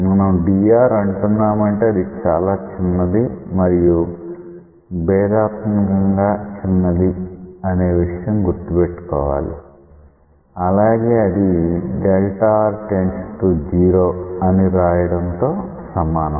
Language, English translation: Telugu, When we give it a name dr we have to keep in mind that it is very small right and it is differentially small; it is as good as writing delta r as delta r tends to 0